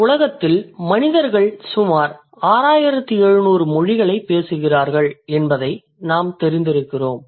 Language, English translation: Tamil, And as of now, we are aware about roughly like approximately, there are 6,700 languages spoken by the humans on this planet